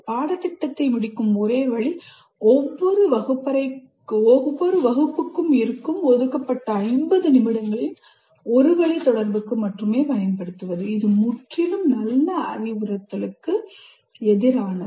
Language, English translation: Tamil, And the only way they can cover the syllabus is the entire 50 minutes that is allocated for each classroom period is used only for one way communication, which is totally against good instruction